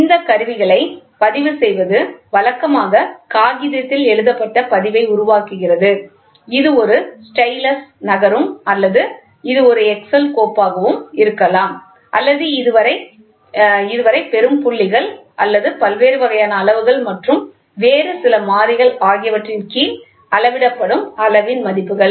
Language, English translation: Tamil, Recording these instruments make written record usually on paper, it can be a stylus moving or it can be a excel file or it can be dots getting plot or the values of the quantity in measured under various kinds scales and some other variables